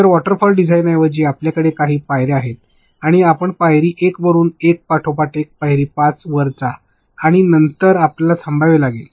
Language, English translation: Marathi, So, instead of a waterfall design wherein you have certain steps and you go from step 1 to step 5 one after the other and then you have a closure